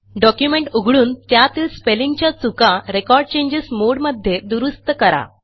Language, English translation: Marathi, Open a document and make corrections to spelling mistakes in Record Changes mode